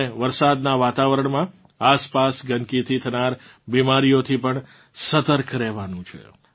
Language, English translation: Gujarati, We also have to be alert of the diseases caused by the surrounding filth during the rainy season